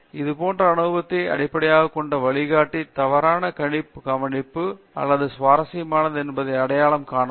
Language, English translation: Tamil, So, the guide based on is such experienced can identify whether it is a wrong observation or something interesting